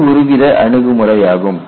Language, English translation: Tamil, This is one approach